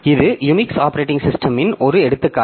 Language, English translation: Tamil, This is an example from the Unix operating system